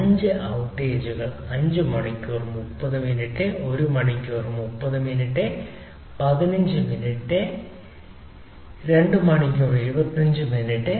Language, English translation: Malayalam, and there are five outages: five hours, thirty minutes, one hour thirty minutes fifteen minutes and two hour twenty five minutes